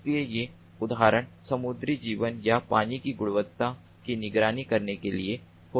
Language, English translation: Hindi, so the examples could be to monitor the marine life or water quality